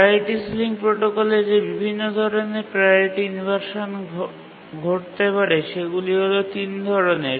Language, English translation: Bengali, If we look at the different types of priority inversions that can occur in the priority ceiling protocol, we will have three types of inversion